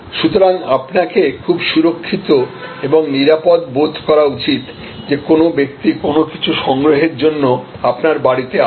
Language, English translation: Bengali, So, you need to be very secure and feel safe that a person is walking into your home to collect something